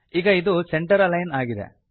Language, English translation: Kannada, This is center aligned now